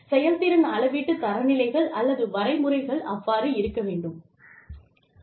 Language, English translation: Tamil, The performance measurement standards, should be, or methods should be, like that